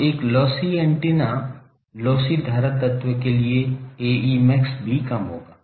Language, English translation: Hindi, So, for a lossy antenna lossy current element, the A e max will be less also